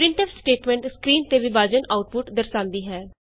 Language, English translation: Punjabi, The printf statement displays the division output on the screen